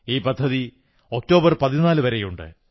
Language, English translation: Malayalam, And this scheme is valid till the 14th of October